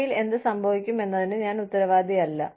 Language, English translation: Malayalam, I am not responsible for, what happens in future